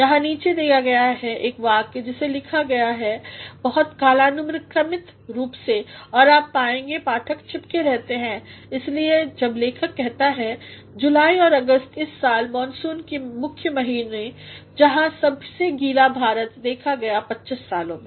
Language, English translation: Hindi, Here given below is a sentence which has been written in a very chronological way and you will find the reader is kept glued to it when the writer says: July and August this year the main monsoon months where the wettest India has seen in 25 years